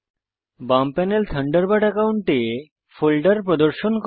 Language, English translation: Bengali, The left panel displays the folders in your Thunderbird account